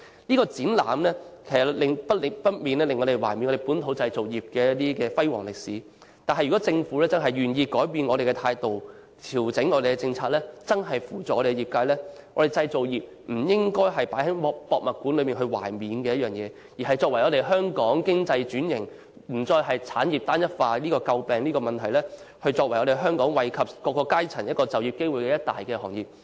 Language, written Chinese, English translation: Cantonese, 這個展覽難免令人緬懷本土製造業的輝煌歷史，如果政府願意改變態度、調整政策，扶助業界，香港製造業便不只是放在博物館內緬懷的東西，而是促進香港經濟轉型，讓香港不再因產業單一化而遭人詬病，創造惠及社會各階層就業機會的一大行業。, Through this exhibition people cherish the memory of the glorious past of the local manufacturing industry . If the Government is willing to change its attitude and adjust its policies to support the manufacturing industry our manufacturing industry will not merely be something to be cherished in a museum but it will be a major industry that promotes economic transformation in Hong Kong and provides employment opportunities for various sectors of the community and Hong Kong will no longer be blamed for uniformity of industries